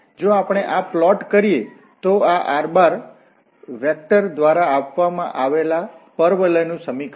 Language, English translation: Gujarati, So if we plot this, this is the equation for the parabola given by this, r, vector r